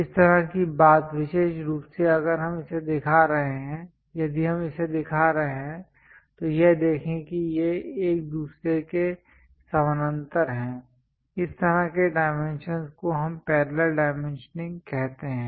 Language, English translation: Hindi, That kind of thing especially if we are showing it if we are showing this one this one this one, look at this these are parallel with each other; such kind of dimensions what we call parallel dimensioning